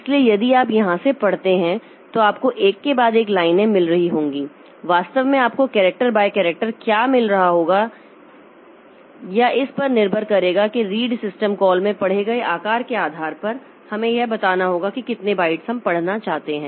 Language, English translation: Hindi, Actually you will be getting word the character by character or this depending on the size of that read the in the read system call we have to tell like how many bytes we want to read